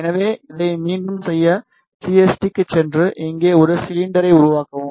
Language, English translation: Tamil, So, to make this again go to CST and make a cylinder here